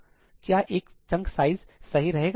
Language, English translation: Hindi, Would a chunk size of 1 be good